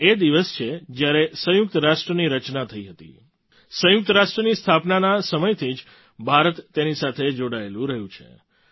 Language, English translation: Gujarati, This is the day when the United Nations was established; India has been a member since the formation of the United Nations